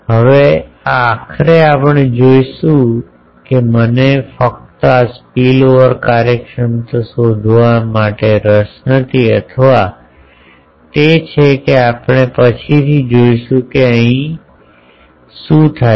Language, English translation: Gujarati, Now, ultimately we will see that I am not interested to find simply this spillover efficiency or it is we will later see that jointly what happens here